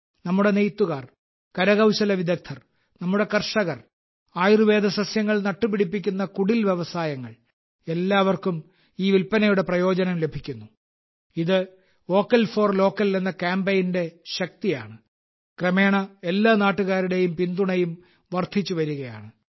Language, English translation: Malayalam, Benefiting from these sales are our weavers, handicraft artisans, our farmers, cottage industries engaged in growing Ayurvedic plants, everyone is getting the benefit of this sale… and, this is the strength of the 'Vocal for Local' campaign… gradually the support of all you countrymen is increasing